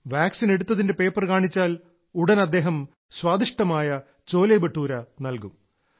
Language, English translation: Malayalam, As soon as you show the vaccination message he will give you delicious CholeBhature